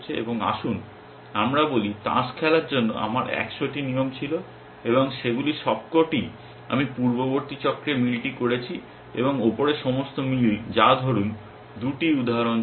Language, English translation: Bengali, And let us say I had a 100 rules for playing cards and all of them I have done the match in the previous cycle and all of the above matching that say 2, 3 instances